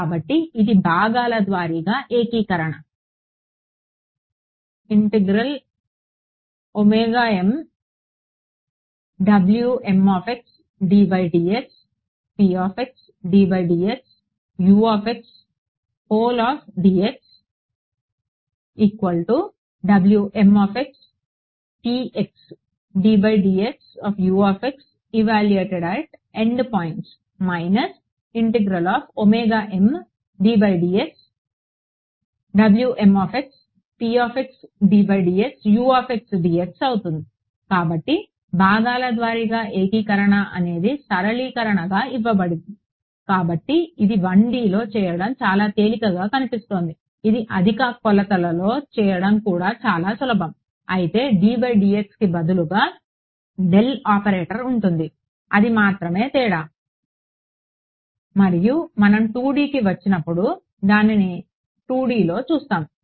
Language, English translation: Telugu, So, integration by parts is what has given as a simplification; now this looks very simple to do in 1D its actually very simple to do in higher dimensions also except that instead of a d by dx will have a del operator that is the only difference and we look at that in 2D when we come to 2D